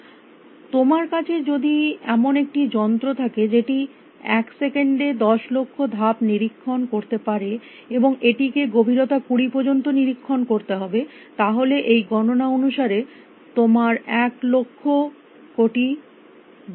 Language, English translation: Bengali, If you had a machine which could inspect a million moves per second, and it had to explore up to depth of 20 according to this calculation it would take you about a billion years